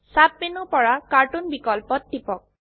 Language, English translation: Assamese, Click on Cartoon option from the sub menu